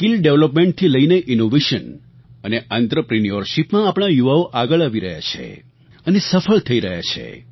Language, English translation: Gujarati, Our youth are coming forward in areas like skill development, innovation and entrepreneurship and are achieving success